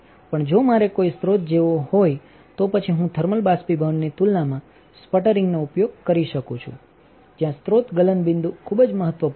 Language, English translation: Gujarati, Also if I want to see any source then I can use for sputtering compared to thermal evaporation, where the source melting point is very important